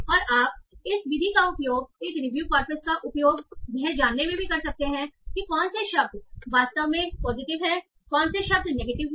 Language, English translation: Hindi, And you might even be able to use this method to find out by using a review coppers which words are actually positive, which words are negative